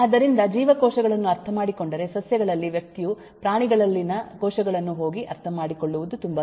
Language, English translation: Kannada, so if one understand cells then in plants, then it is much easier for the person to go and understand cells in animals